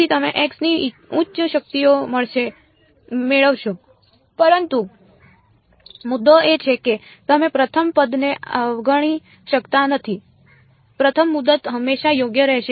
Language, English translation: Gujarati, So, you will higher powers of x you will get, but the point is that you cannot ignore the first term; the first term will always be there right